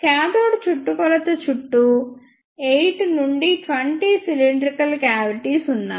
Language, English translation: Telugu, And there are 8 to 20 cylindrical cavities all around the circumference of the cathode